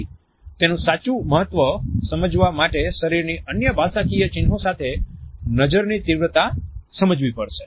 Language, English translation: Gujarati, So, intensity of gaze has to be understood coupled with other body linguistic signs to understand the true import of a